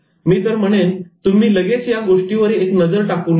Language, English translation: Marathi, I would suggest that you take a quick look